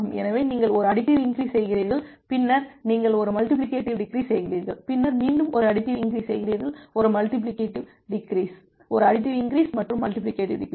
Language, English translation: Tamil, So, you are you are starting from this point you are making a additive increase, then you make a multiplicative decrease then again you make a additive increase you make a multiplicative decrease you make a additive increase and the multiplicative decrease